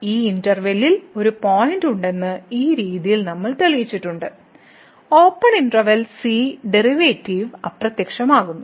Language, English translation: Malayalam, So, in this way we have proved this that there is a point in this interval , in the open interval where the derivative vanishes